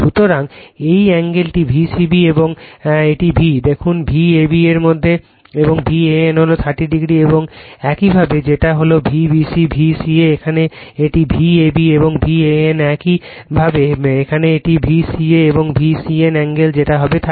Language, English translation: Bengali, So, this angle that angle between your V c b right and this v look at V a your what you call V a b and V a n is thirty degree and similarly your V your what you call b V c, V c a right here it is V a b and V a n similarly here it is V c a and V c n angle your what you call will be 30 degree like this